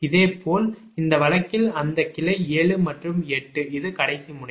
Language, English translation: Tamil, similarly, in this case, that branch seven, that seven and eight, this is the last node